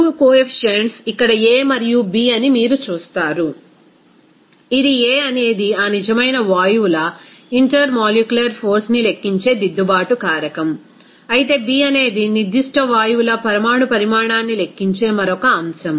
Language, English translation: Telugu, You will see that 2 coefficients are here a and b, this a is correction factor that is accounting intermolecular force of that real gases, whereas b is another factor that accounts the molecular size of that particular gases